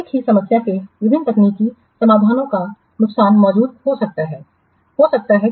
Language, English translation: Hindi, The disadvantage that different technical solutions to the same problem may exist